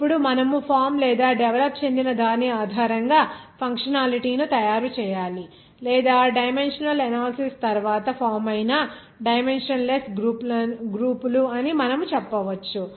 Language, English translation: Telugu, Now you have to make functionality based on this formed or developed or you can say that dimensionless groups that is formed that dimensional analysis